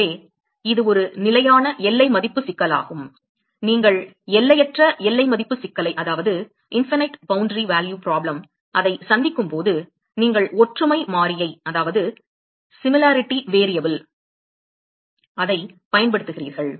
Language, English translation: Tamil, So, it is a fixed boundary value problem you use similarity variable when you are having infinite boundary value problem